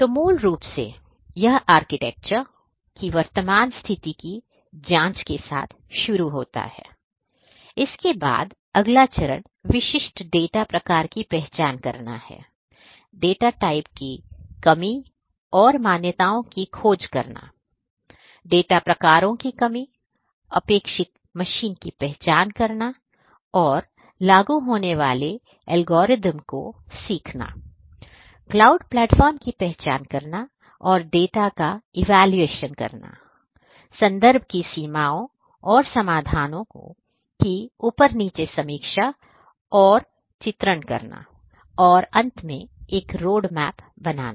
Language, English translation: Hindi, So, basically it starts like this that it starts with examining the current state of the architecture, thereafter the next step is going to be identifying the specific data type, finding the assumptions and constraints of the data types, identifying the requisite the suitable the targeted machine learning algorithm that is applicable, identifying the cloud platform analyzing and evaluating the data, providing a top down review and illustrating the context limitations and solutions and creating a roadmap